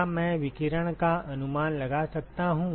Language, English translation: Hindi, Can I estimate can the radiation …